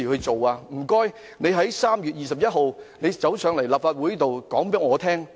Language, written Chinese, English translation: Cantonese, 麻煩你們在3月21日前來立法會告知議員。, Please come to the Legislative Council to inform Members before 21 March